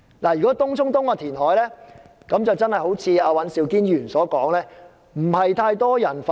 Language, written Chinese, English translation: Cantonese, 對於東涌東的填海，正如尹兆堅議員所說，並非太多人反對。, As pointed out by Mr Andrew WAN the reclamation works of Tung Chung East have not met with much opposition